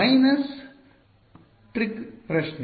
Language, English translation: Kannada, Minus trick question